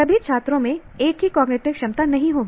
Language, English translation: Hindi, All students will not have the same cognitive ability